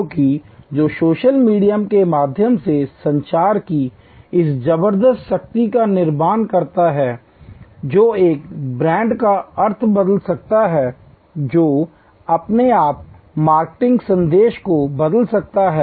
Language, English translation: Hindi, Because, that creates this tremendous power of communication through social media, that can change the meaning of a brand, that can change your marketing message